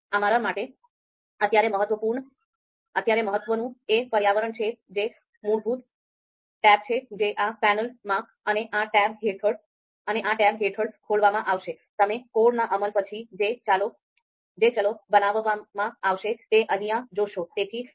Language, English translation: Gujarati, The important one for us right now is the environment, which is the default tab that would be opened in this panel, and under this tab, you would see the variables that are going to be created you know after our execution of the code